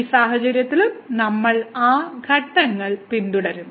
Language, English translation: Malayalam, So, in this case also we will follow those steps